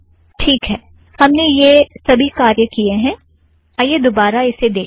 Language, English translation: Hindi, Okay, we did all this, so lets just go through this